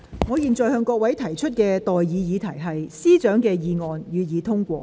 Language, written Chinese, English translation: Cantonese, 我現在向各位提出的待議議題是：律政司司長動議的議案，予以通過。, I now propose the question to you and that is That the motion moved by the Secretary for Justice be passed